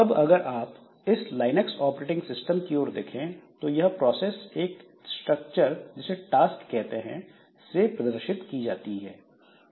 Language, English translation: Hindi, Now, if you look into this Linux operating system, then this process representation is by means of a structure called task